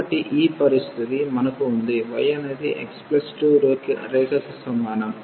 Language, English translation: Telugu, So, this is the situation we have this y is equal to x plus 2 line